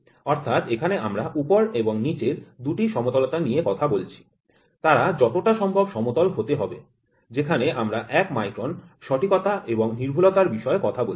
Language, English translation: Bengali, So, here we try to talk about 2 flat names up and down there should be as flat as possible we talk about accuracy of one micron